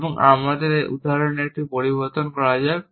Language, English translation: Bengali, So, let me change my example a little bit